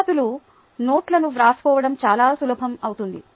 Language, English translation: Telugu, taking down appropriate notes would become much easier